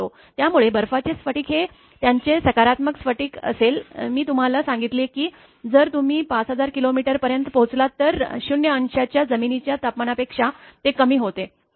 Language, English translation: Marathi, So, ice crystal will be their positive I told you that if you reach 5000 kilometer or so, above the ground temperature of 0 degree and after that it become minus